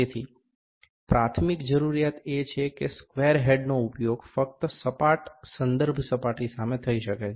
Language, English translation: Gujarati, So, the primary requirement is that the square head can be used only against a flat reference surface